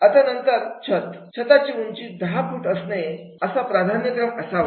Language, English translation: Marathi, Then the ceiling, then the 10 foot high ceiling are preferable